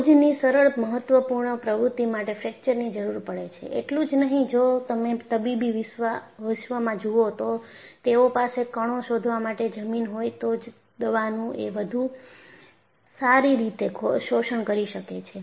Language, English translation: Gujarati, So, such a simple day to day importantactivity requires fractures; not only this, see if you look at the medicinal world, they have found out there is better absorption of the medicine, if it is ground to find particles